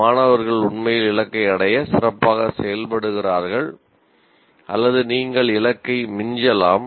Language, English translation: Tamil, The students actually perform well to meet the target or you may exceed the target